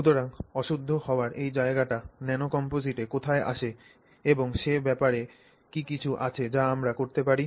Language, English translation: Bengali, So, where is this scope for impurity that comes into a nano composite and is there something that we can do about it